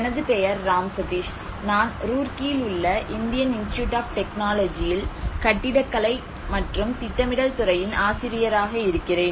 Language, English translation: Tamil, My name is Ram Sateesh, I am a faculty from department of architecture and planning, Indian Institute of Technology Roorkee